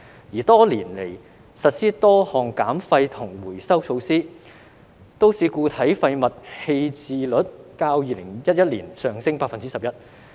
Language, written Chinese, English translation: Cantonese, 而多年來實施多項減廢及回收措施，都市固體廢物棄置率較2011年上升 11%。, Despite the waste reduction and recycling measures implemented over the years the disposal rate of MSW has increased by 11 % as compared to that in 2011